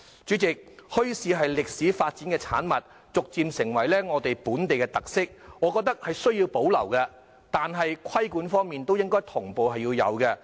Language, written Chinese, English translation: Cantonese, 主席，墟市是歷史發展的產物，逐漸成為本地的特色，我認為需要保留，但同時應該要有規管。, President bazaars are the products of historical development and have gradually become local characteristics . I think bazaars should be retained and regulated at the same time